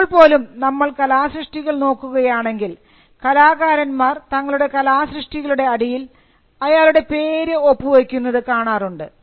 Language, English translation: Malayalam, Even now, if you look at a work of art, there is a tendency for the artist to sign his or her name in the piece of art